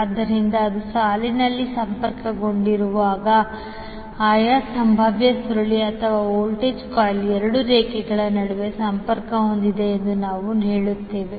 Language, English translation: Kannada, So because it is connected in the line while the respective potential coil or we also say voltage coil is connected between two lines